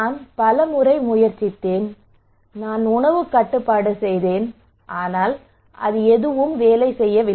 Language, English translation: Tamil, But tell me how I tried many times I did diet control it did not work